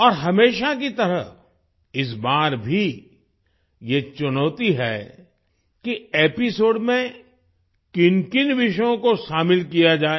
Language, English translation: Hindi, And like always, this time as well, selecting topics to be included in the episode, is a challenge